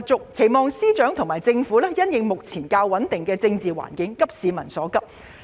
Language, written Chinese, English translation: Cantonese, 我們希望司長和政府能在目前較穩定的政治環境下急市民所急。, We urge FS and the Government to address the pressing needs of the people when the political environment is relatively stable